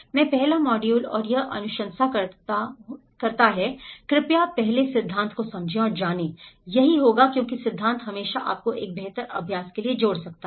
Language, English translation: Hindi, In the first module and this recommends, please understand and know the theory first, that will because theory always can connect you to for a better practice